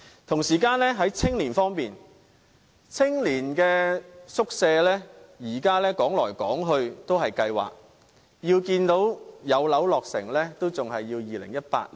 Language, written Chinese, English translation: Cantonese, 同時，在青年方面，青年宿舍至今仍然是在計劃當中，要看到宿舍落成，便要等到2018年。, Regarding the young people the youth hostel scheme is still under planning and the construction of the first youth hostel will not be completed until 2018